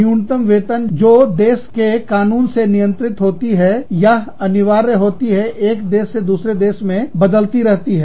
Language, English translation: Hindi, The minimum wage, that is governed by the, or, that is mandated by law, varies from, country to country